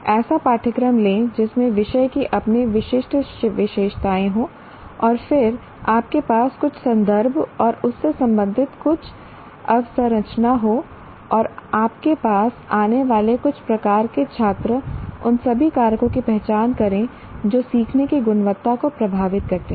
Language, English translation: Hindi, Take a course, there is a, that subject has its own particular features and then you have certain context and some infrastructure related to that and you have certain type of students coming to you, identify all the factors that lead to, that influence the quality of learning